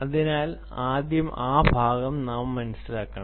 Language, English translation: Malayalam, so we have to understand that part first